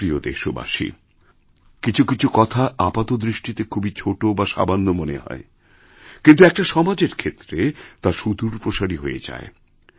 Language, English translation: Bengali, My dear countrymen, there are a few things which appear small but they have a far reaching impact on our image as a society